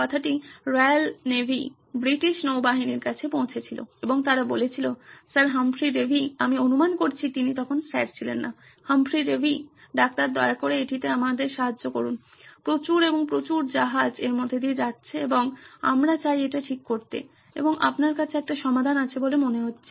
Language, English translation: Bengali, Word got around to Royal Navy, British Navy and they said, Sir Humphry Davy, I guess he was not Sir back then, Humphry Davy, doctor please help us with this, a lots and lots of ships are going through this and we would like to get it fixed and sounds like you have a solution